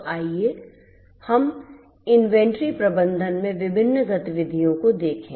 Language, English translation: Hindi, So, let us look at the different activities in inventory management inventory